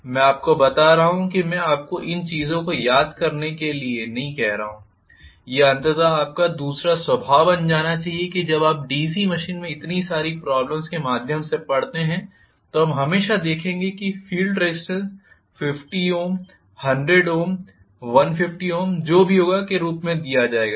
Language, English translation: Hindi, So, I am going to have these as some ballpark values estimated values I am telling you I am not asking you to memorise these things this should become your second nature eventually when you read so many problems read through so many problems in DC machine invariably we will see that the field resistance will be given as 50 ohms, 100 ohms, 150 ohms whatever